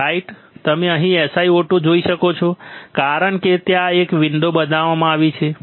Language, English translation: Gujarati, I have I can see here SiO 2 right you can see here SiO 2 see why because there is a window created